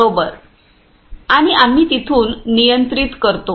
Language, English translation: Marathi, And we control from there